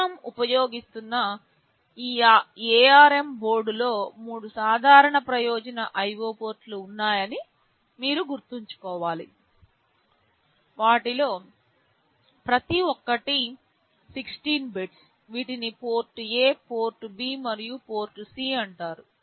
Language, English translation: Telugu, You should remember that in this ARM board we are using, there are three general purpose IO ports, each of them are 16 bits, these are called port A, port B and port C